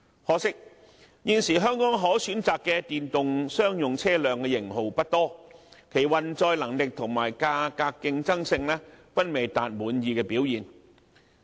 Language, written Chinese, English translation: Cantonese, 可惜現時香港可選擇的電動商用車輛的型號不多，其運載能力和價格競爭性均未能達滿意的表現。, Regrettably only a limited number of models of electric commercial vehicles are available in Hong Kong for the time being of which the performance is far from satisfactory in terms of carrying capacity and price competitiveness